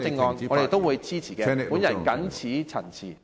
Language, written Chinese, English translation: Cantonese, 我們會支持，我謹此陳辭。, we will support them . I so submit